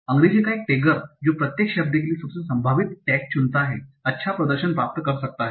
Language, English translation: Hindi, So a tagger for English that simply uses the most likely tag for each word can achieve good performance